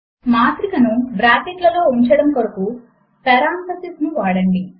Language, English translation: Telugu, Use parentheses to enclose the matrix in brackets